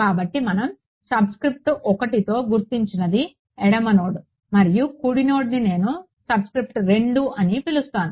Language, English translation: Telugu, So, those the left node we are calling as with subscript 1 and the right node I am calling subscript 2